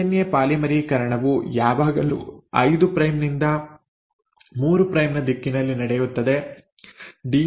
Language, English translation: Kannada, The DNA polymerisation always happens in the direction of 5 prime to 3 prime